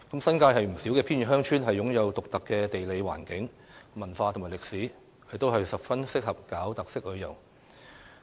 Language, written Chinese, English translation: Cantonese, 新界不少偏遠鄉村均擁有獨特的地理環境、文化及歷史，十分適合發展特色旅遊。, Given their unique topography culture and history many remote villages in the New Territories are very suitable for developing characteristic tourism